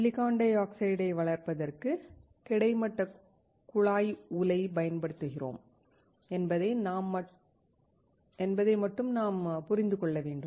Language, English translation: Tamil, We just understand that for growing the silicon dioxide, we use horizontal tube furnace